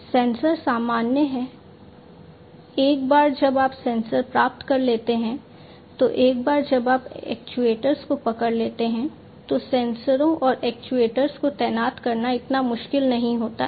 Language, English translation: Hindi, Sensors are common, once you get the sensors, once you get hold of the actuators, it is not so difficult to deploy the sensors and actuators